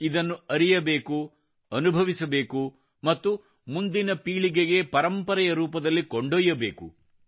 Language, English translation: Kannada, We not only have to know it, live it and pass it on as a legacy for generations to come